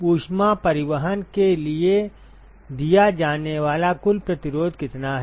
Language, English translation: Hindi, What is the total resistance offered for heat transport